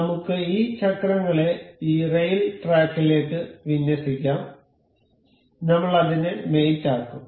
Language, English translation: Malayalam, Let us just align these wheels to this rail track; I will make it mate